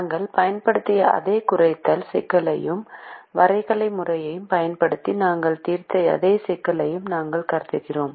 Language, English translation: Tamil, we consider the same minimization problem that we used, the same problem that we solved using the graphical method